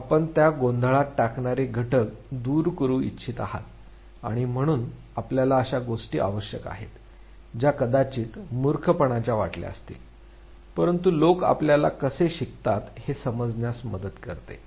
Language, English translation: Marathi, You want to eliminate those confounding factors and therefore you need a things which although might appear nonsense, but it helps you understand how people learn